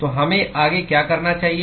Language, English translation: Hindi, So, what should we do next